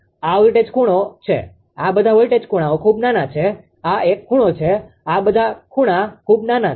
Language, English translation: Gujarati, This voltage angle right; all this voltage angles are very small this one this one all this angles are very small